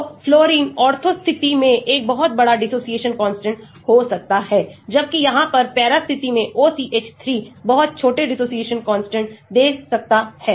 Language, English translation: Hindi, so a fluorine in the ortho position can have a very large dissociation constant whereas, OCH3 in a para position here could lead to a very small dissociation constant